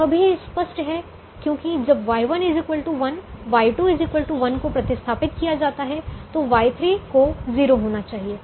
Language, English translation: Hindi, that is also evident because when is substitute y one equal to one, y two equal to one, y three has to be zero